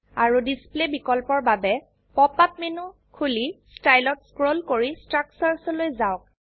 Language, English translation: Assamese, For more display options, Open the pop up menu and scroll down to Style, then to Structures